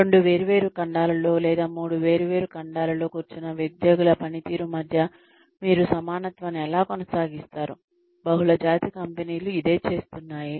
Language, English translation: Telugu, How do you maintain parity between the performance of employees, who are sitting on two different continents, or three different continents, multinational companies are doing